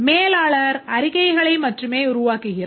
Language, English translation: Tamil, The manager can generate various reports